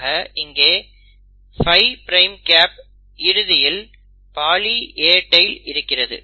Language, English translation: Tamil, So it has a 5 prime cap, and it ends up having a poly A tail